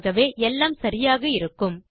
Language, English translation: Tamil, So that should be fine